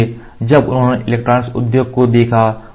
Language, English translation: Hindi, So, when they looked at electronic industry